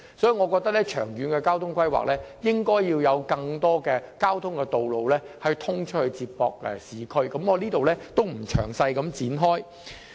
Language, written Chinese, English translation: Cantonese, 所以，我認為長遠交通規劃方面，應該要有更多接駁市區的道路，我在此不作詳細闡述。, So in terms of long - term planning for transport the Government should plan more routes linking the Lantau with the urban areas . I am not going into detail in this regard